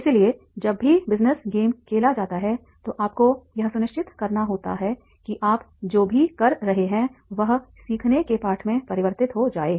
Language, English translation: Hindi, So, whenever the business game is played, you have to ensure that is the whatever you are doing then that converts into the lessons of learning